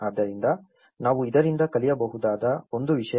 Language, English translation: Kannada, So, this is one thing we can learn from this